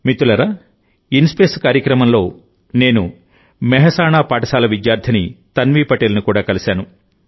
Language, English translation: Telugu, Friends, in the program of InSpace, I also met beti Tanvi Patel, a school student of Mehsana